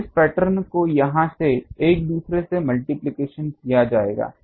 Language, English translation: Hindi, So, this pattern will be multiplied by these and another one here